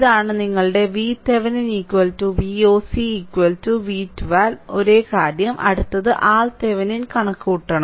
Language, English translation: Malayalam, This is your V Thevenin is equal to V oc is equal to V 1 2 same thing, next is we have to compute R thevenin